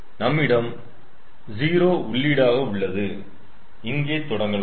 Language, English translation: Tamil, so here, to start with we had zero input